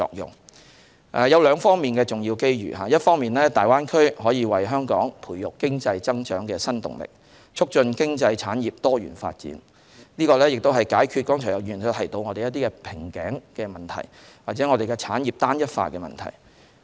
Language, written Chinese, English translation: Cantonese, 粵港澳大灣區有兩方面重要機遇，一方面可為香港培育經濟增長新動力，促進經濟產業多元發展，解決剛才有議員所指的瓶頸問題或產業單一化問題。, The Greater Bay Area can bring significant opportunities in two aspects . On one hand it can foster new impetus for Hong Kongs economic growth and promote diversified development of the economy and industries thus resolving the bottleneck problem or the problem of homogenous industry as mentioned by Members earlier on